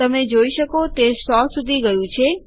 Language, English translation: Gujarati, You can see it has gone to hundred